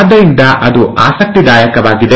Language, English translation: Kannada, So, that's interesting